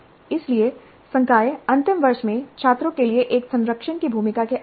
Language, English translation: Hindi, So faculty are accustomed to the role of a mentor in the final year for the students in the final year